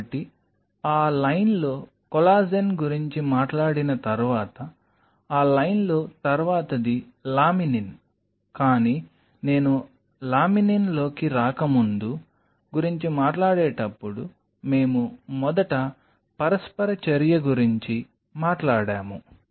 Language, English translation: Telugu, So, next in the line once we talk about collagen next in that line is laminin, but before I get into laminin when we were talking about we talked about the first interaction is this interaction